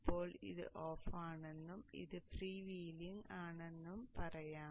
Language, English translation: Malayalam, Now when let us say this is off and this is freewheeling